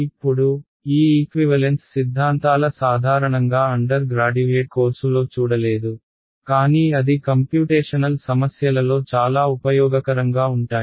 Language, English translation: Telugu, Now, this equivalence theorems are theorems where usually they are not encountered in undergraduate course, but they are very useful in computational problems